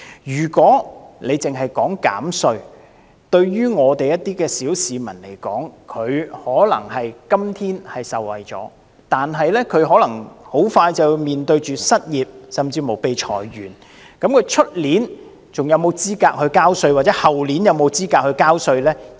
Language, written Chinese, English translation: Cantonese, 如果政府只是提出減稅，對於一些小市民而言，他們今天可能會受惠，但有可能很快便要面對失業，甚至被裁員；他們明年是否還有資格繳稅，或後年是否有資格繳稅呢？, With this tax concessionary measure from the Government some ordinary citizens may benefit today but they may be unable to benefit if they have to face the prospects of unemployment or being laid off very soon . Will they still be qualified to pay tax next year or in the year after next?